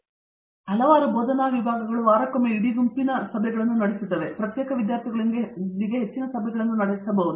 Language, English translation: Kannada, Several of our faculty holds regular weekly meetings of the whole group and they may hold more frequent meetings with individual students